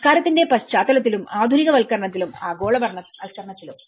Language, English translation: Malayalam, In the context of culture and in the modernization and the globalization